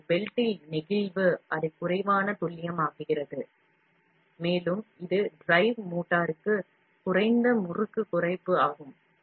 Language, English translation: Tamil, But flexing in the belt, make it less accurate, and this is also a lower torque reduction to the drive motor